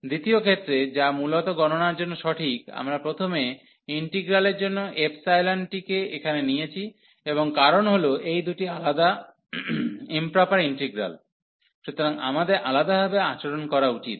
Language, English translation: Bengali, In the second case, which is the correct one for the evaluation basically, we take the epsilon one here for the first integral, and because these two are the separate improper integrals, so we should deal differently